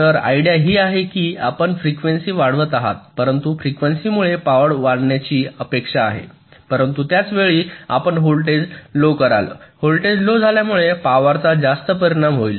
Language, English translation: Marathi, so the idea is that you increase the frequency, but increasing frequency is expected to increase the power, but at the same time you decrease the voltage